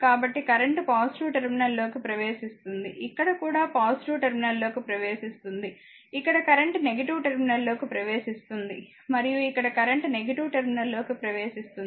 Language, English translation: Telugu, So, current entering plus terminal, here also entering the plus terminal, here current entering the minus terminal , and here current entering into the minus terminal so, right